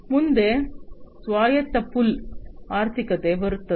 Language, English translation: Kannada, Next comes autonomous pull economy